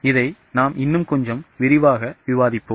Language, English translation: Tamil, Let us discuss it in little more details